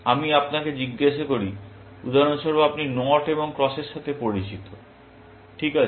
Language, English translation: Bengali, Let me ask you, for example, you are familiar with Knots and Crosses, right